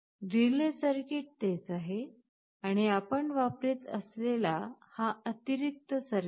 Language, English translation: Marathi, The relay circuit is the same, and this is the additional circuit we are using